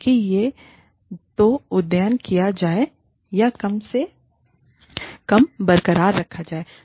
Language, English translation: Hindi, So, that has to be either updated, or at least kept intact